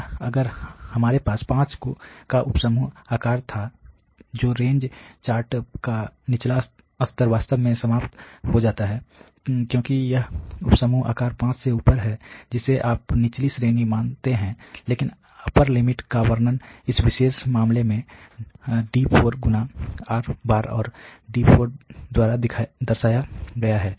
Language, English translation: Hindi, And if we had sub group size of 5 the lower level of the range chart is really eliminated because it is above the sub group size 5 that you consider the lower range, but the upper range can be represented by in this particular case the D4*, and D4, in this particular case comes out to be about 2